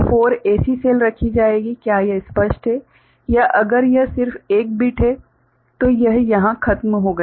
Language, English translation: Hindi, So, 4 such cells will be placed, is it clear or if it is just one bit then it is over here